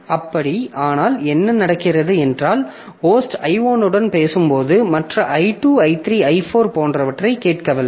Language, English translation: Tamil, So, but the, so what happens is that this I1 when the host is talking to I1, so the host is not listening to others, I2, I3, I4